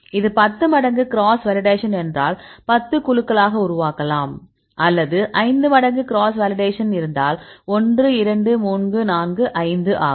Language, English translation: Tamil, So, in this case if it is the 10 fold cross validation; so we can make into 10 groups or if you have 5 fold cross validation for example, 1, 2, 3, 4 5